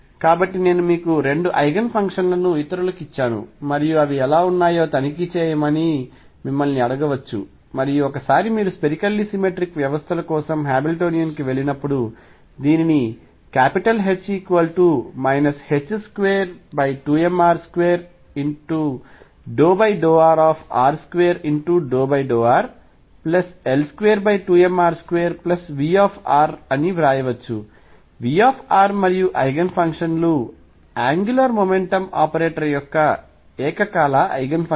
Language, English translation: Telugu, So, I given you 2 Eigen functions others I can keep giving and ask you to check what they are like and once you then go to the Hamiltonian for spherically symmetric systems this can be written as H equals minus h cross square over 2 m r square partial with respect to r; r square partial with respect to r plus L square over 2 m r square plus V r and since the Eigenfunctions psi are going to be simultaneous Eigenfunctions of the angular momentum operator